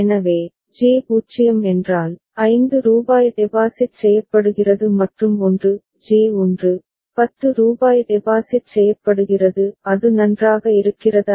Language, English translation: Tamil, So, if J is 0, then rupees 5 is deposited and 1 is J is 1, rupees 10 is deposited; is it fine